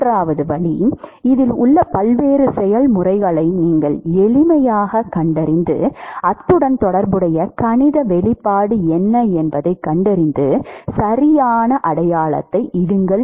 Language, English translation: Tamil, And the third way is you simply identify different processes which are involved, what is the mathematical expression corresponding to that and put the correct sign